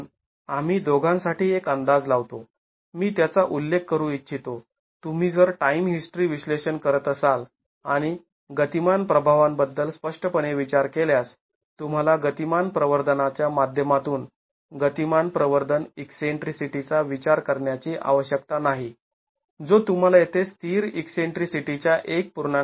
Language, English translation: Marathi, I would like to mention that if you are doing time history analysis, if you are doing time history analysis and there is an explicit consideration of the dynamic effects, you need not consider the dynamic amplification eccentricity due to the dynamic amplification that you see here 1